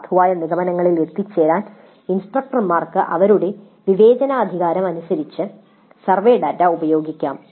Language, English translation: Malayalam, Instructors can use their discretion in making use of the survey data to reach valid conclusions